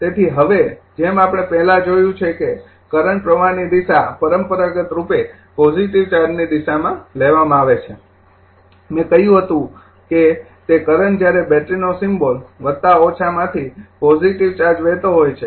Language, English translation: Gujarati, So, now as we have seen earlier the direction of current flow is conventionally taken as the direction of positive charge movement I told you, that current when you take the battery symbol plus minus form the plus the positive charge is flowing